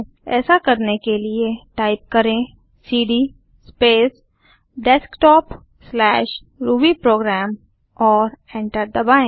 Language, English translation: Hindi, To do so, type cd space Desktop/rubyprogram and press Enter